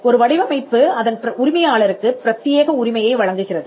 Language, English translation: Tamil, A design offers an exclusive right to the owner